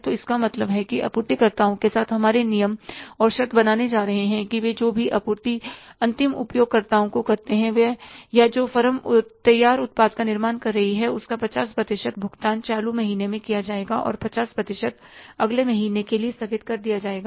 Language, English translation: Hindi, So, means we are going to pay our, say, say, terms and conditions with the suppliers are that whatever the supplies they make to the end user or the firm who is manufacturing the finished product, 50% of the payment will be made in the current month and 50% will be postponed to the next month